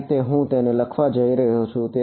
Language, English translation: Gujarati, That is how I am going to write it